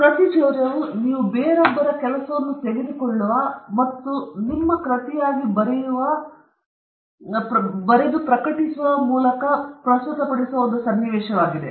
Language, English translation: Kannada, A plagiarism is a situation where you take someone elseÕs work and present it as your work either through writing or presenting it as in publishing in journals